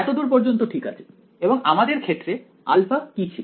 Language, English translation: Bengali, So far so good and in our case turned out alpha was what